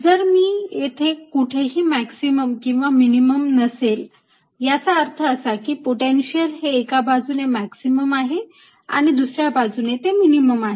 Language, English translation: Marathi, let's understand that if there is no minimum or maximum, that means the potential is going through a maxim on one side, a minimum from the other side